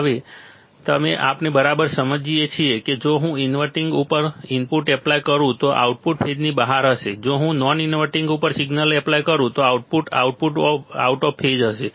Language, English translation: Gujarati, So, now, we understand right that if I apply input at inverting, output will be out of phase; if I apply signal at non inverting, output will be in phase